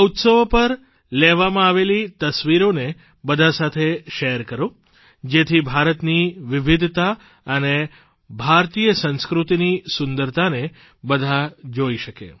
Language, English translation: Gujarati, Doo share the photographs taken on these festivals with one another so that everyone can witness the diversity of India and the beauty of Indian culture